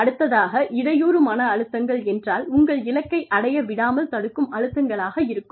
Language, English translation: Tamil, And, hindrance stressors would be stressors, that keep you from reaching your goal